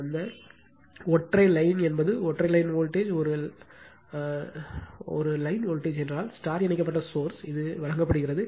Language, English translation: Tamil, That single one line means single line one line voltage, one line voltage I mean one is star connected source is given this right